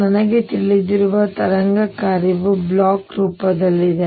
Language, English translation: Kannada, The wave function I know is of the Bloch form